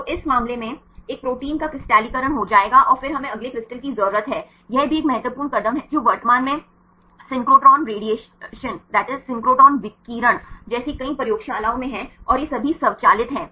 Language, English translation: Hindi, So, in this case will get crystallized of a protein and then we need to next is crystal mounting is an also an important step currently in several laboratories like the synchrotron radiation and all it is automated